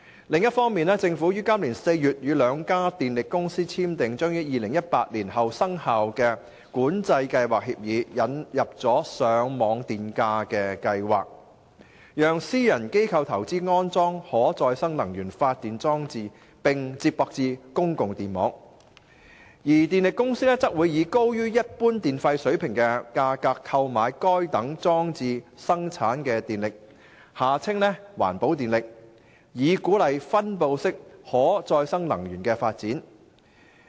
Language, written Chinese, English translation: Cantonese, 另一方面，政府於今年4月與兩家電力公司簽訂將於2018年後生效的新《管制計劃協議》，引入了上網電價計劃，讓私人機構投資安裝可再生能源發電裝置並接駁至公共電網，而電力公司則會以高於一般電費水平的價格購買該等裝置生產的電力，以鼓勵分布式可再生能源的發展。, On the other hand the new Scheme of Control Agreements that the Government entered into with the two power companies in April this year which will take effect after 2018 have introduced a feed - in tariff scheme which allows private organizations to invest in installing REPG installations and connect such installations with the public power grids while the power companies will purchase the electricity generated by such installations at a rate higher than the normal electricity tariff rate so as to encourage the development of distributed renewable energy